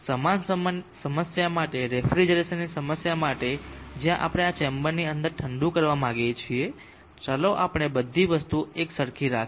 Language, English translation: Gujarati, For the same problem for the refrigeration problem where we want to cool inside of this chamber let us keep all things same